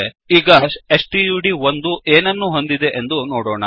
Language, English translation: Kannada, Now, let us see what stud1 contains